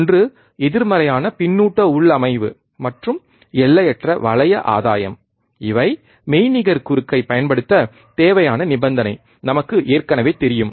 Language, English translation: Tamil, One is negative feedback configuration, and infinite loop gain these are the required condition to apply virtual short, we already know